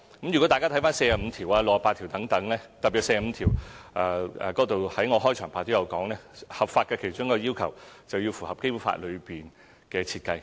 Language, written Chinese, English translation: Cantonese, 如果大家參閱第四十五條和第六十八條等，特別是第四十五條，我在開場發言亦提到，合法的其中一個要求是要符合《基本法》內的設計。, As mentioned at the beginning of my speech one of the requirements of being lawful means complying with the design laid down in the Basic Law as shown in Articles 45 and 68 especially Article 45